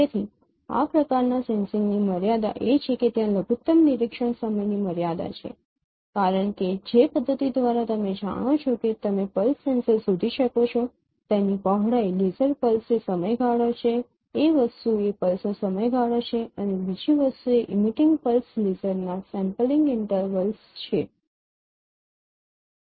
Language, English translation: Gujarati, So there is a limitation of this kind of sensing you are limited by the minimum observation time because the the mechanism by which now you can detect a pulse laser it has its it has its width laser, the duration duration of the pulse that is one thing and another thing is the sampling intervals of emitting pulse laser